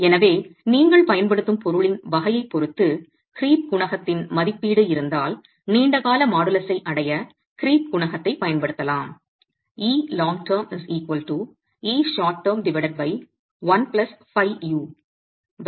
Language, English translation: Tamil, So, depending on the type of material you use, if there is an estimate of the creep coefficient, then you can use the creep coefficient to be able to arrive at the long term modulus